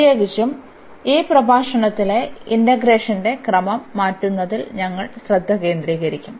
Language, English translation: Malayalam, And in particular we will be focusing on the change of order of integration in this lecture